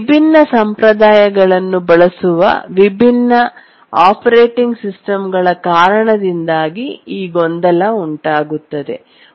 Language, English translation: Kannada, Actually the confusion arises because different operating systems they use different conventions